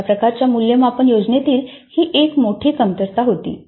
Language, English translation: Marathi, This was one of the major drawbacks in that kind of a assessment scheme